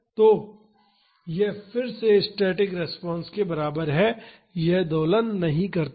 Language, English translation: Hindi, So, this is again equivalent to static response it does not oscillate